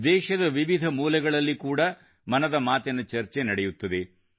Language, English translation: Kannada, There is a discussion on 'Mann Ki Baat' in different corners of the world too